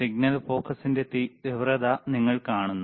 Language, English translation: Malayalam, You see intensity of the signal focus